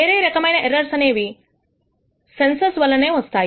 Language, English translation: Telugu, The other kind of errors is due to the sensor itself